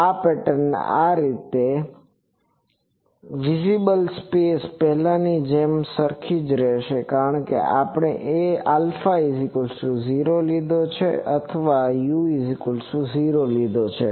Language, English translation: Gujarati, The pattern is like this, the visible space is same as before because we have taken the alpha to be 0 or u 0 to be 0